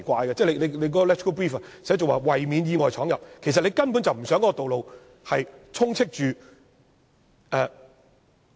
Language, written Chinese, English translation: Cantonese, 立法會參考資料摘要寫着"為免車輛意外闖入"，其實當局根本不想道路充斥着......, The Legislative Council Brief says the delineation seeks to prevent the unintentional entry of vehicles but the real intention of the Government is to prevent the intentional rather than unintentional entry of vehicles